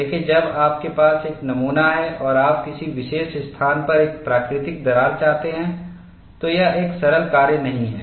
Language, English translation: Hindi, See, when you have a specimen and you want to have a natural crack at a particular location, at a particular way, it is not a simple task